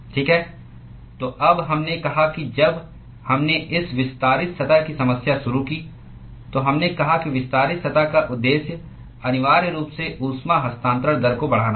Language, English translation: Hindi, Okay, so now, we said that when we started this extended surfaces problem, we said that the purpose of extended surface is essentially to increase the heat transfer rate